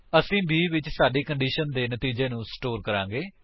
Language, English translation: Punjabi, We shall store the result of our condition in b